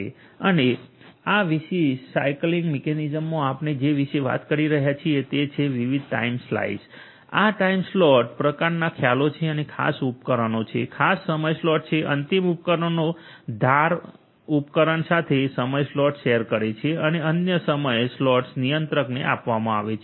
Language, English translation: Gujarati, And in this particular slicing mechanism what we are talking about is to have different time slices or time slots similar kind of concepts like that and have certain devices have certain time slots the end devices edge device you know share certain time slots the other time slots will be given to the controller